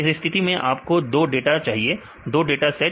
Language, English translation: Hindi, So, for this case you need two data not just two data, two sets of data